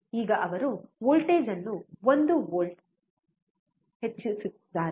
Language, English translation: Kannada, So now, he is increasing the voltage to 1 volt